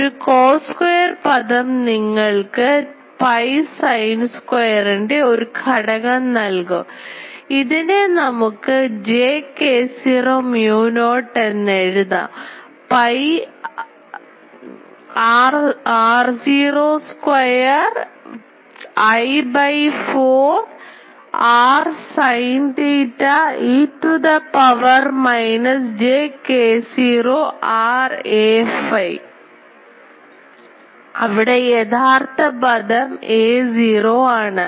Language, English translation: Malayalam, So, we can write this as j k naught, mu naught, pi r naught square I by 4 pi r sin theta e to the power minus j k naught r a phi; where a phi is the actually this term